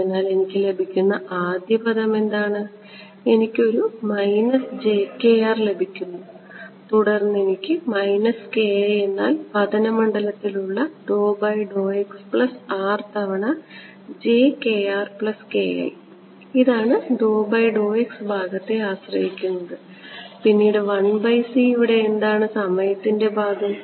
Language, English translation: Malayalam, So, what is the first term that I get I get a minus j k r right then I get a minus k i is d by d x put on incident field plus R times now what will I get j k r plus k i this takes care of the d by dx part, then comes 1 by c what is the time part over here